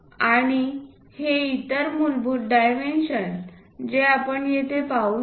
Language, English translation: Marathi, And the other basic dimensions, what we can see is here this